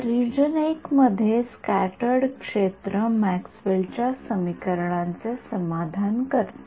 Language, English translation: Marathi, So, in region I E scat satisfies Maxwell’s equations